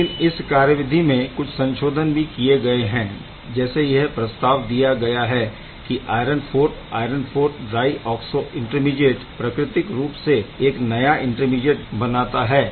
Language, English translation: Hindi, But there is a twist there is a revised mechanism, where it is supposed that or it is proposed that this iron IV iron IV dioxo intermediate is giving a new intermediate which is quite natural